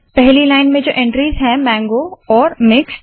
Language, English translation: Hindi, In the first line, the entries are mango and mixed